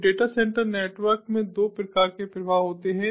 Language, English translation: Hindi, so there are two types of flows that occur in data center networks